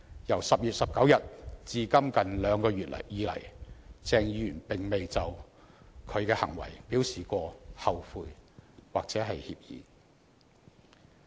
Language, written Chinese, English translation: Cantonese, 由10月19日至今近兩個月來，鄭議員未有就他的行為表示後悔或歉意。, Over the past two months since 19 October Dr CHENG has never shown any remorse or regret for his acts